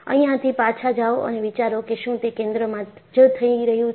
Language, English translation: Gujarati, Just, go back and think was it happening, at the center